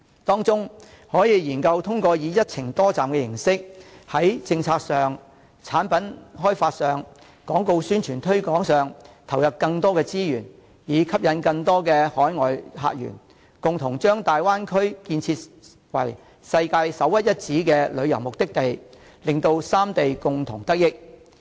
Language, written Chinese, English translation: Cantonese, 當中可以研究通過以"一程多站"的形式，在政策、產品開發、廣告宣傳推廣上投入更多資源，以吸引更多海外客源，共同把大灣區建設為世界首屈一指的旅遊目的地，令三地共同得益。, The three places can inject more resources into the policy product development and advertising promotion to attract more overseas visitors and thus jointly develop the Bay Area into a world - class top destination for tourists and be benefited from it